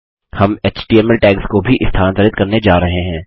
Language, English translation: Hindi, We are also going to move html tags